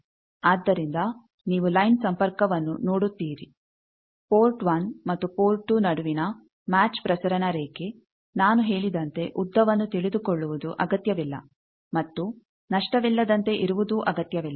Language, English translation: Kannada, So, you see line connection a match transmission line between port 1 and port 2, as I said not necessary to know length and not necessary to be lossless also